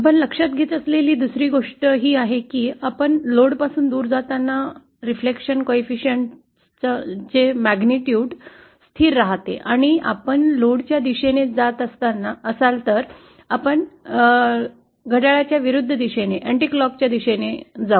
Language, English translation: Marathi, The other thing that we note is that the magnitude of the reflection coefficient as we go away from the load remains constant and if we are going towards the load, then we move in an anticlockwise direction